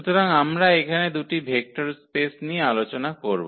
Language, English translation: Bengali, So, here we talk about these 2 vector spaces